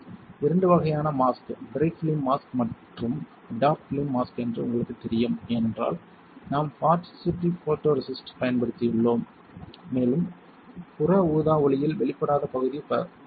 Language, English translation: Tamil, You know two types of mask, bright film mask and a dark film mask this will be dark film mask because we have used positive photoresist and the properties of positive photoresist is that, which the area which is not exposed under UV light will be stronger the area which is exposed will be weaker